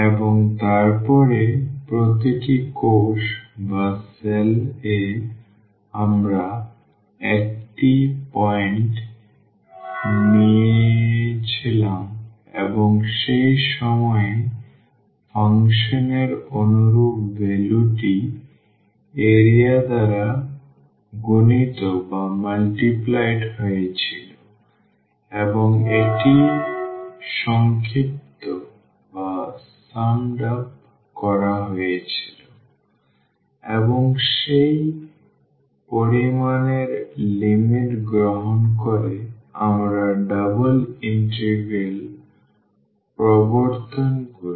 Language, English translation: Bengali, And, then in each cell we had taken a point and the corresponding value of the function at that point was multiplied by the area and that was summed up and taking the limit of that sum we introduce the double integral